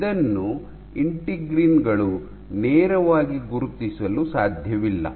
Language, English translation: Kannada, It cannot be recognized by integrins directly